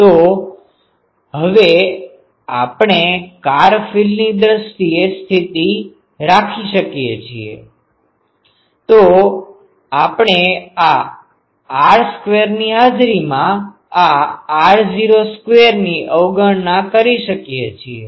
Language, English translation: Gujarati, So, we now put the far field condition; so, we can neglect this r naught square in presence of this r square